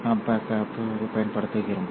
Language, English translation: Tamil, This is how we use couplers